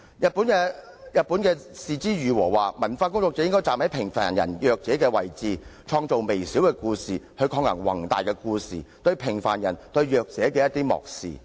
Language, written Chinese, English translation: Cantonese, 日本的是枝裕和曾經指出，文化工作者應站在平凡人、弱者的位置，創作微小的故事，藉以抗衡那些宏大的故事對平凡人和弱者的漠視。, Hirokazu KOREEDA from Japan has once pointed out that cultural workers should stand in the shoes of common people and the weak to create little stories thereby contending against the indifference brought by big stories to common people and the weak